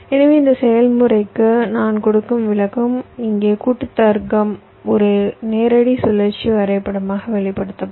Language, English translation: Tamil, so the illustration that i shall be giving for this process here, the combination logic, will be expressed as a direct ah cyclic graph